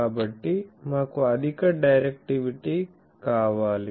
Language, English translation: Telugu, So, we want high directivity